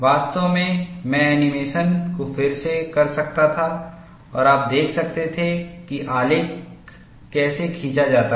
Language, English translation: Hindi, In fact, I could redo the animation and you could see how the graph is drawn